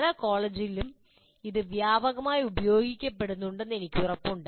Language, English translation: Malayalam, And I'm sure this is what is being used extensively in many of the colleges